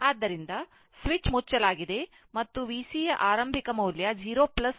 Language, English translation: Kannada, So, switch is closed and initial value of V C 0 plus is given 3 volt it is given